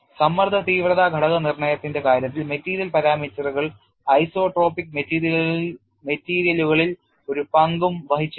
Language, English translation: Malayalam, See in the case of stress intensity factor determination, material parameters did not play a role in isotropic materials